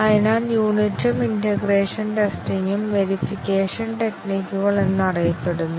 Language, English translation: Malayalam, And therefore, the unit and integration testing are known as verification techniques